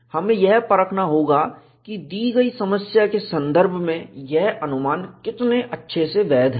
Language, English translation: Hindi, We will have to verify, how good this approximation is valid, in the context of your given problem